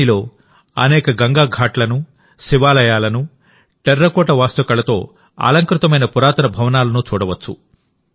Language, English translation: Telugu, In Tribeni, you will find many Ganga Ghats, Shiva temples and ancient buildings decorated with terracotta architecture